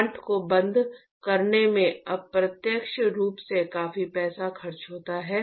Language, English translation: Hindi, It costs a lot of money indirect money to shut down the plant